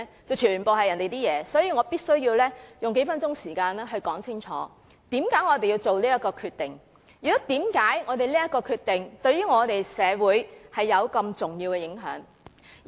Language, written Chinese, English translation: Cantonese, 因此，我必須用數分數時間解釋清楚我們這決定，以及為甚麼我們的決定對社會有重要的影響。, So I must spend a few minutes clearly explaining our decision and the reason why our decision will produce significant impact on society